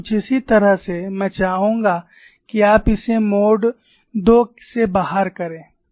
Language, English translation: Hindi, Something similar to this I would like you to work it out for mode 2